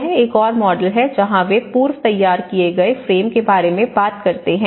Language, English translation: Hindi, This is one another model where they talk about you know the pre cast frames you know